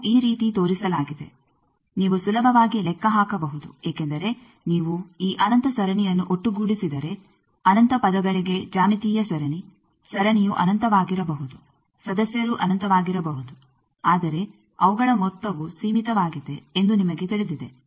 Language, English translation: Kannada, That is shown like this, you can easily calculate because if you sum this infinite series for infinite terms you know that a geometric series the series may be infinite members may be infinite, but their sum is finite